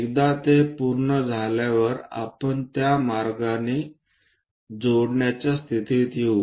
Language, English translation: Marathi, Once it is done, we will be in a position to join in that way